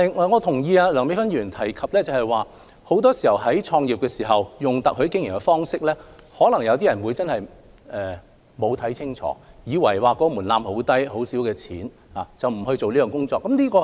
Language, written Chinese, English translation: Cantonese, 我同意梁美芬議員所說，有些人在決定以特許經營的方式創業時，可能沒有看清楚情況，以為門檻很低，只需一筆很小的資金即可，便不予深入研究。, I agree with Dr Priscilla LEUNG that when some people decided to start a business by joining a franchise they might not have taken a comprehensive view of the situation . They might be attracted by the low threshold and the little capital required and thus have not conducted in - depth studies